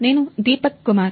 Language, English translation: Telugu, And I am Deepak Kumar